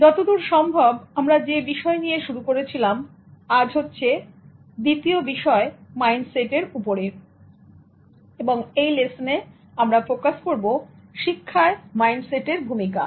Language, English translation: Bengali, As far as the concept is concerned, this is the second topic on mindset and in this lesson we will focus on learning mindsets